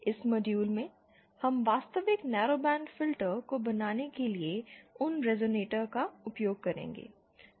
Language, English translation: Hindi, In this module, we shall be using those resonators to build the actual narrowband filter